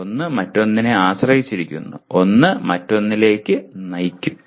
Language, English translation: Malayalam, One is dependent on the other and one can lead to the other and so on